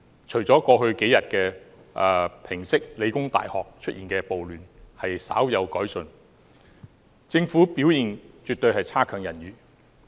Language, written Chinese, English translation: Cantonese, 除了過去數天平息理工大學出現的暴亂時稍有改進外，政府的表現絕對強差人意。, The Governments performance in quelling the riots in The Hong Kong Polytechnic University in the past few days has improved a bit; but that aside its overall performance was poor